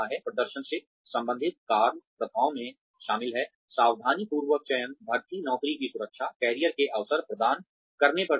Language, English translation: Hindi, Performance related work practices include, careful selection, recruitment, job security, emphasis on providing career opportunities